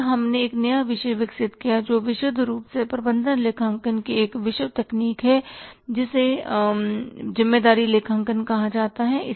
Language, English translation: Hindi, Then we developed a new discipline which is purely a discipline technique of the management accounting which is called as responsibility accounting